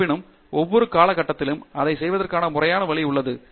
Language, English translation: Tamil, However, there are at each stage there is a systematic way of doing it